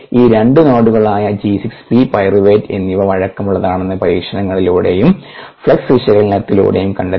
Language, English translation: Malayalam, through experiments and flux analysis it was found that these two nodes, g six, p, pyruvate